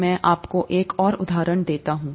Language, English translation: Hindi, Let me give you one more example